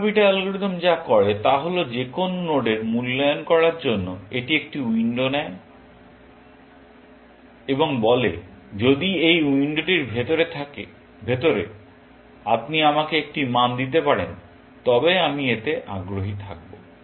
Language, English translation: Bengali, What the alpha beta algorithm does is that for evaluating any node, it passes a window and says, only if you can get me a value inside this window, I am going to be interested in that